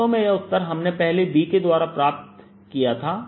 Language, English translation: Hindi, indeed, the answer we had obtained earlier looking at b